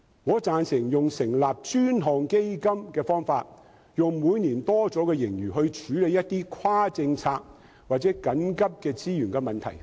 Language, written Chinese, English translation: Cantonese, 我贊成採用成立專項基金的方法，利用每年的盈餘來處理一些跨政策或緊急的資源問題。, I support the approach of establishing dedicated funds to use the annual surplus to deal with problems of resources straddling various policies or of urgency . The Government has such a huge surplus